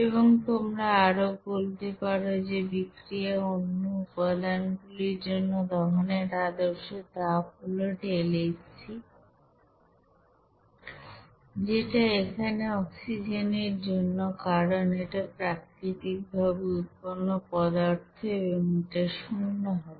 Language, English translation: Bengali, And also you can say that standard heat of combustion for other components in this reaction here deltaHc of degree here oxygen since it is naturally occurring substance this will be equal to zero